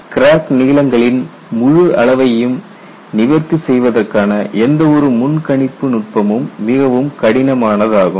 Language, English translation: Tamil, Any predictive technique to address the full range of crack lengths is very very difficult